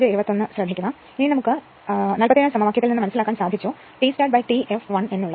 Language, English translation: Malayalam, Now, from equation 47, we know that T start upon T f l is equal to this one right